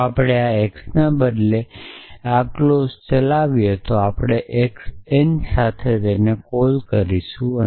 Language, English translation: Gujarati, So, if we are not change this x that clause will and we will call with x n